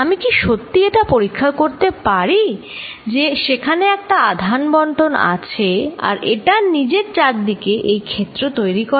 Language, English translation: Bengali, Can I really check, if there is a charge distribution it creates this field around itself